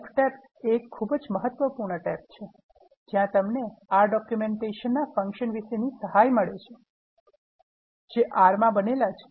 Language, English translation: Gujarati, The Help tab is a most important one, where you can get help from the R Documentation on the functions that are in built in R